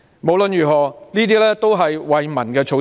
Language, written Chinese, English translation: Cantonese, 無論如何，這些都是惠民措施。, In any case these measures will benefit the public